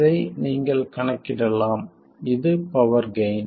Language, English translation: Tamil, You can calculate this, this is the power gain